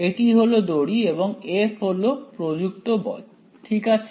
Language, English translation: Bengali, So, string alright and F is the applied force alright